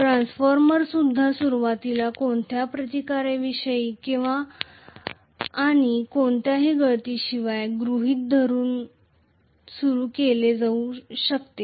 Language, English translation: Marathi, A transformer also be initially started assuming without any resistance and without any leakage